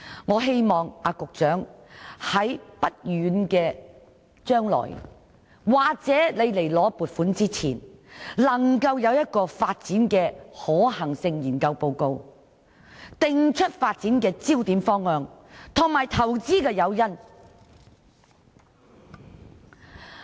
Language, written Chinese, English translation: Cantonese, 我希望局長在不遠的將來或向立法會申請撥款之前，能提交一份發展可能性研究報告，訂出發展焦點、方向，以及投資的誘因。, I hope the Secretary can in the near future or before seeking funding approval from the Legislative Council provide a report on the feasibility study for development to set out the focus and direction of development and the investment incentives